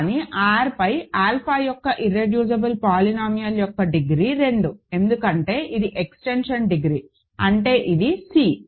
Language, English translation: Telugu, But, then degree of the irreducible polynomial of alpha over R is 2, because this is the extension degree right, because this is C